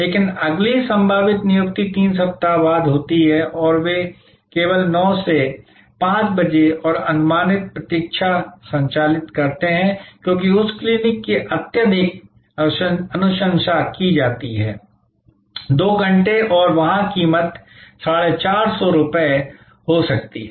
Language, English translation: Hindi, But, the next possible appointment is 3 weeks later and they operate only 9 to 5 pm and the estimated wait because that clinic is very highly recommended may be 2 hours and there price is 450